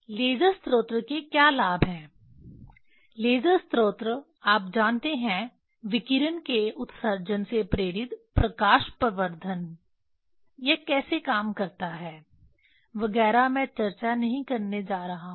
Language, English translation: Hindi, What are the advantage of laser source laser source you know light amplification by stimulated emission of radiation how it works etcetera I am not going to discuss